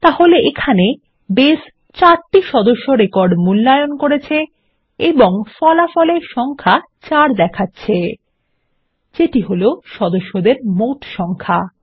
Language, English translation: Bengali, So here, Base has evaluated all the 4 members records and returned the number 4 which is the total count of members